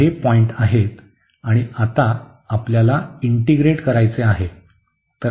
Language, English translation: Marathi, So, these are the points and now we want to integrate